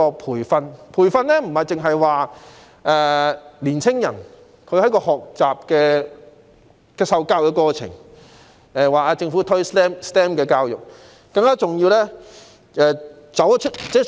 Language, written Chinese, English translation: Cantonese, 培訓不單針對青年人學習和受教的過程，更重要的是要針對在職人士。, Training concerns not only the process of learning and receiving education among young people . More importantly it should target at people in employment